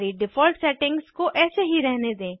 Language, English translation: Hindi, Keep all the default settings as it is